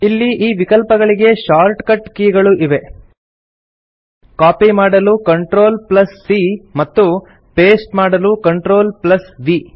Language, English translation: Kannada, There are shortcut keys available for these options as well CTRL+C to copy and CTRL+V to paste